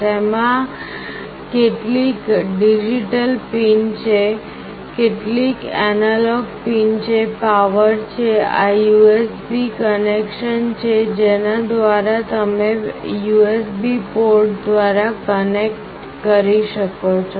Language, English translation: Gujarati, It has got some digital pins, some analog pins, there is a power, this is the USB connection through which you can connect through USB port